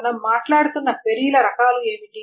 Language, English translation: Telugu, So what are the kinds of queries that we are talking about